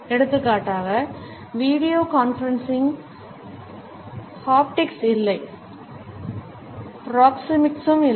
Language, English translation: Tamil, For example, in video conferencing haptics was absent, proxemics was also absent